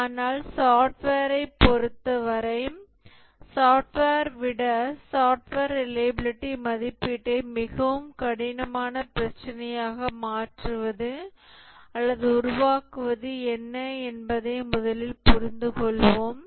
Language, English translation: Tamil, Let's first understand what is causing or making the software reliability evaluation a much more harder problem than software